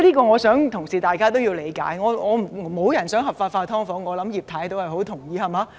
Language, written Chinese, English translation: Cantonese, 我想同事也要理解這點，沒有人想"劏房"合法化，我相信葉太也很同意，對嗎？, No one wants subdivided units to become legal and I believe Mrs IP also agrees very much with this does she not?